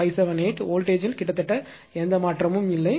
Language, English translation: Tamil, 98578 almost no change in the voltage